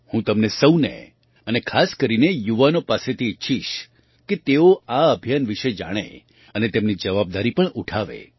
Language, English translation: Gujarati, I would like all of you, and especially the youth, to know about this campaign and also bear responsibility for it